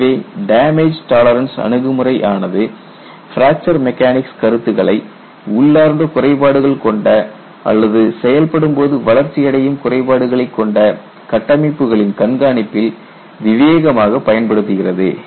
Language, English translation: Tamil, So, the damage tolerance approach intelligently uses fracture mechanics concepts in health monitoring of structures with inherent flaws or flaws that grow in service